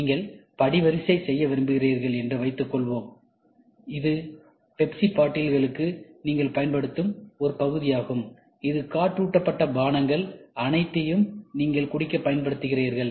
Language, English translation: Tamil, Suppose, let us assume you want to make a die, this is for a part which you use for Pepsi bottles, where you use all these aerated drinks to drink